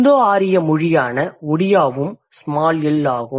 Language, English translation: Tamil, Odea, which is an Indo Arian language, that's a small L